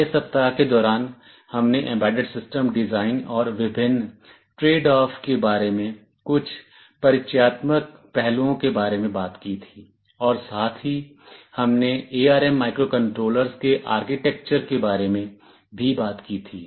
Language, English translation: Hindi, During the 1st week, we had talked about some introductory aspects about embedded system design, various tradeoffs and also we talked about the architecture of the ARM microcontrollers